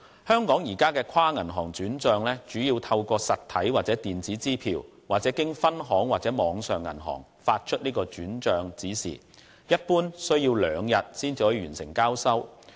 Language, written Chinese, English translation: Cantonese, 香港現行的跨銀行轉帳，主要透過實體或電子支票，或經分行和網上銀行發出轉帳指示，一般需時兩天才可完成交收。, At present inter - bank fund transfers are made mainly through cheques or e - cheques or via transfer instructions issued at branches or online which generally take two days